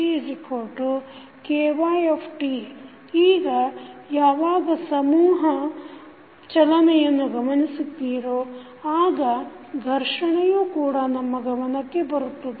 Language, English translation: Kannada, Now, there when you see that mass moving then you will see the friction also coming into the picture